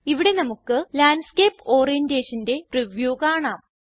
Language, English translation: Malayalam, Here we can see the preview of Landscape Orientation